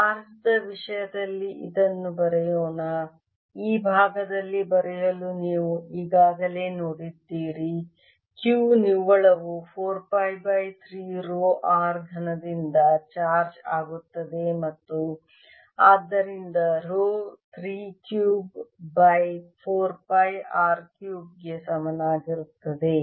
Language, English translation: Kannada, let me write down inside the q the net charges: four pi by three row r cube and therefore row is equal to three cube over four pi r cubed